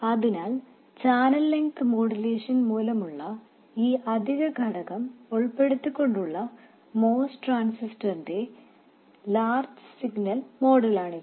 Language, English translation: Malayalam, So, this is the large signal model of the most transistor, including this additional factor due to channel length modulation